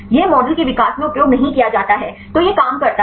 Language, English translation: Hindi, This is not used in the development of the model; so this works